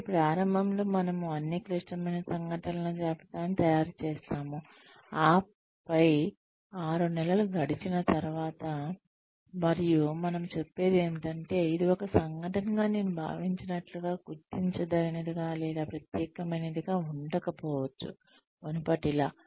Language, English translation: Telugu, So initially, we make a list of all the critical incidents, and then after maybe six months pass by, and we say, may be this was not, as noticeable or as special as, an event, as I thought it to be, sometime back